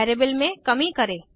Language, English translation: Hindi, Decrement the variable